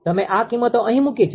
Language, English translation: Gujarati, You put these values here right